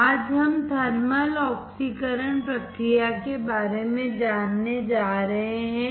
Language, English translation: Hindi, Today, we are going to learn about thermal oxidation process